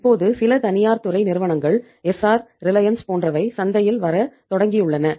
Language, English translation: Tamil, Now some private sector companies have started coming in the market like ESSAR, Reliance